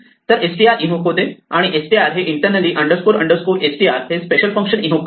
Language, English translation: Marathi, So, str is invoked and str in turn internally invokes this special function underscore underscore str